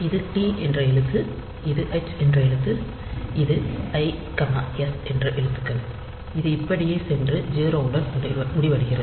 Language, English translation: Tamil, So, this is the character t, this is the character h, this is the character i, s, so it goes like this and it is ended with 0